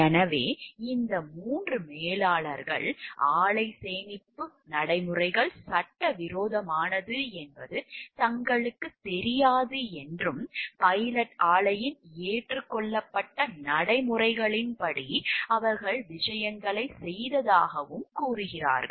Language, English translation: Tamil, And so, this part where the 3 managers are claiming that they were not aware that the plant storage practices were illegal and that they did things according to the accepted practices of the pilot plant